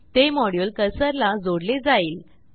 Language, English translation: Marathi, The module will get tied to cursor